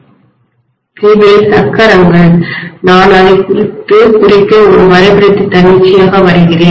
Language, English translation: Tamil, These are the wheels, I just arbitrarily drawing a diagram basically to represent it